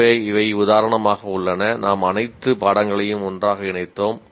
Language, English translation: Tamil, So these are the, for example, we combine together and put all the courses into this together